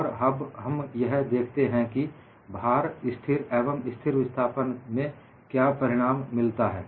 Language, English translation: Hindi, And we would look at what is the result for a constant load as well as constant displacement